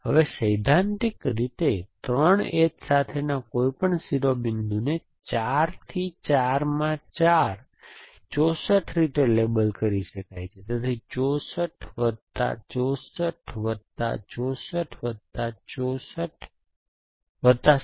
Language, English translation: Gujarati, Now, any vertex with 3 edges coming to it in principle can be label in 4 into 4 into 4, 64 ways, so, 64 plus 64 plus 64 plus 16